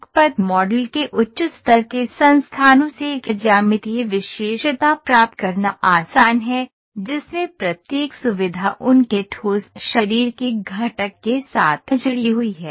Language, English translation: Hindi, It is easy to derive a geometric feature from a higher level entities of a path model, in which each feature is associated with their component of a solid body